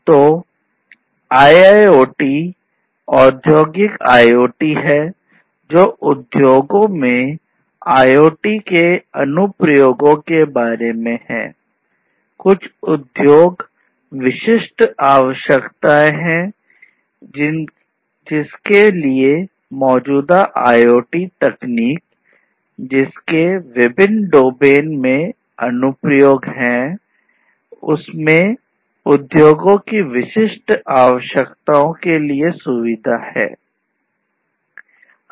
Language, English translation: Hindi, So, IIoT is Industrial IoT, which is about the applications of IoT in the industry